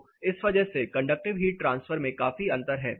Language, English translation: Hindi, So, because of this there is a considerable difference in conductive heat transfer